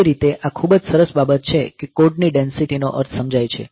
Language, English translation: Gujarati, So, that way it is a very nice thing that code density means per